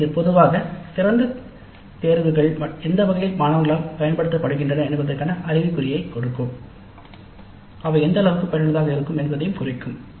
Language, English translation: Tamil, So this in general will give us an indication as to in what way the open electives are being used by the students to what extent they find them useful